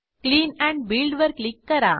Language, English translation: Marathi, Click on Clean and Build